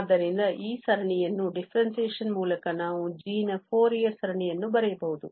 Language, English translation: Kannada, So, we can write down the Fourier series of g prime just by differentiating this series